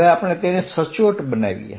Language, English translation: Gujarati, Let us make it more precise